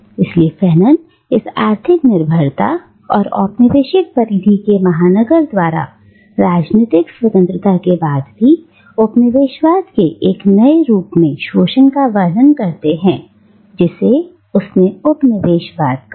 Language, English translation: Hindi, So Fanon describes this economic dependence and continuing exploitation of the colonial periphery by the metropolis, even after political independence, as a new form of colonialism, which he terms as neo colonialism